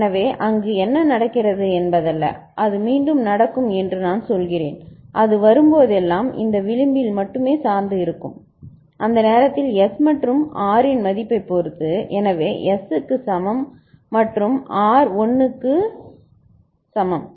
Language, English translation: Tamil, So, that is not what is happening and it will happen again I mean, it will depend only again in the this edge whenever it comes and depending on the value of S and R at that time so S is equal to 0 and R is equal to 1 ok